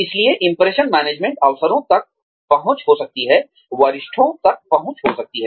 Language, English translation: Hindi, So, impression management, may be access to opportunities, may be access to seniors, maybe